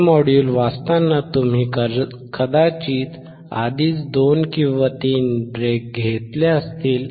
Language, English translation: Marathi, While reading this module probably you have taken already 2 or 3 breaks